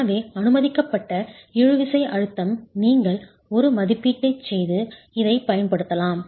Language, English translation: Tamil, So permissible tensile stress is you can make an estimate and use this